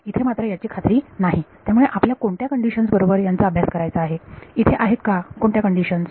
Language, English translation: Marathi, Here, it is not guaranteed, so we want to study under which conditions, are there any conditions